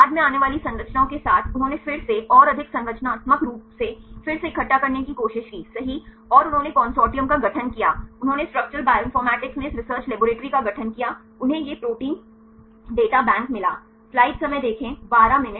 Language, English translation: Hindi, Later on with the structures coming up then they tried to collect the more structural again and again right and they formed the consortium, they form this Research Collaboratory in Structural Bioinformatics, they found this the Protein Data Bank